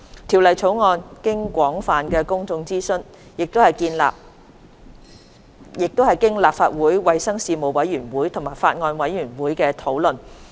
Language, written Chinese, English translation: Cantonese, 《條例草案》經廣泛的公眾諮詢，並經過立法會衞生事務委員會及法案委員會討論。, The Bill has been put through extensive public consultation and discussed by the Panel on Health Services and the Bills Committee of the Legislative Council